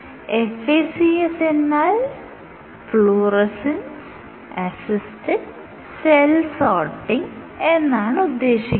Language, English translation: Malayalam, So, you have heard of FACS right, fluorescence assisted cell sorting ok